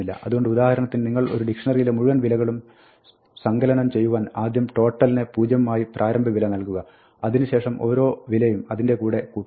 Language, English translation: Malayalam, So, if you want to add up all the values for instance from a dictionary, you can start off by initializing total to 0, and for each value, you can just add it up yes right